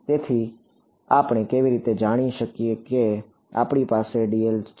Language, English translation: Gujarati, So, how do we know whether we have reach the correct answer for dl